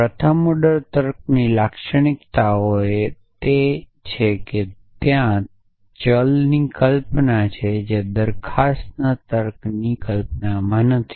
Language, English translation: Gujarati, The characteristics feature of first order logic is there is a notion of variable which is not there in the notion of proposition logic